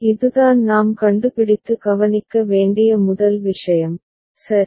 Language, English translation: Tamil, So, this is the first thing that we would find and note, ok